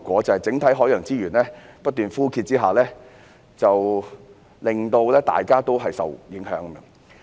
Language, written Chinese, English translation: Cantonese, 在整體海洋資源不斷枯竭下，大家均受影響。, Everyone is affected by the depletion of the overall marine resources